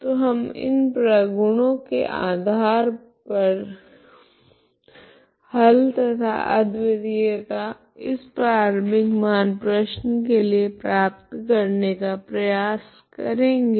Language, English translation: Hindi, So we will just try to derive we will just try to construct a solution based on this properties and this uniqueness of the solution of the initial value problem